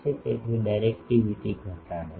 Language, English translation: Gujarati, So, reduces directivity